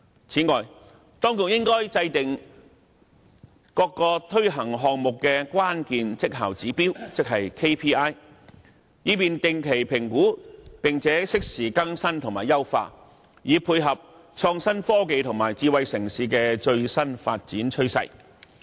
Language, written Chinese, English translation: Cantonese, 此外，當局應該制訂各個推行項目的關鍵績效指標，以進行定期評估，並適時更新和優化，以配合創新科技和智慧城市的最新發展趨勢。, In addition the authorities should draw up key performance indicators ie . KPI for various proposed projects for the purpose of regular assessment which will be updated and enhanced in a timely manner so as to tie in with the latest trend in innovation and technology and smart city development